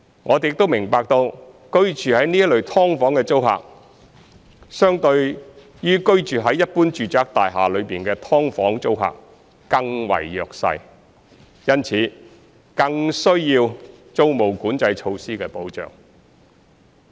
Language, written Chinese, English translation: Cantonese, 我們亦明白居住在這類"劏房"的租客，相對於居住在一般住宅大廈內的"劏房"的租客更為弱勢，因此更需要租務管制措施的保障。, We also understand that tenants living in such subdivided units are more vulnerable than those living in subdivided units in ordinary residential buildings and are therefore in greater need of protection under the rent control measures